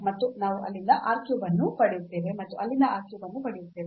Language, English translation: Kannada, And we will get r cube from there also r cube from there